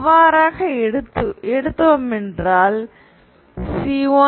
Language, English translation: Tamil, So you go up to C1, C3, C5